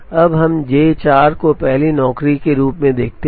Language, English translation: Hindi, Now, let us look at J 4 as the first job and complete this